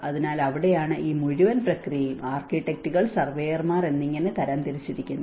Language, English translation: Malayalam, So, that is where this whole process has been categorized with the architects, surveyors